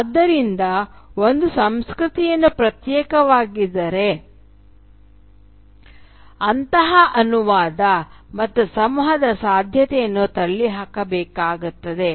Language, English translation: Kannada, So if a culture is all sealed up and isolated then the very possibility of such a translation and communication has to be ruled out